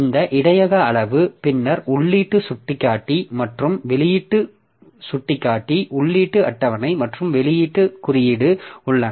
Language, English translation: Tamil, So, this buffer is of size, buffer size, then there is input pointer and output pointer, input index and output index